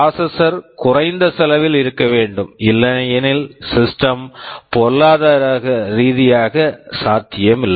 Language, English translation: Tamil, The processor has to be low cost otherwise the system will not be economically viable